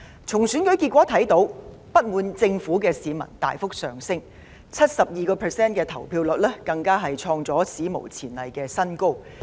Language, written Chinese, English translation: Cantonese, 從選舉結果可見，不滿政府的市民大幅增加 ，71% 的投票率更是創下史無前例的新高。, It can be seen from the election results that the number of citizens dissatisfied with the Government has greatly increased . A turnout rate of 71 % is a record high